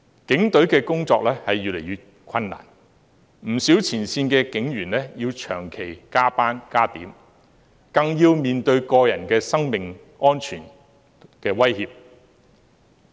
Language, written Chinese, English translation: Cantonese, 警隊的工作越來越困難，不少前線警員要長期加班加點，更要面對個人的生命安全威脅。, The work of the Police has become increasingly difficult . Many frontline police officers had to work overtime constantly not to mention the threats made against their personal safety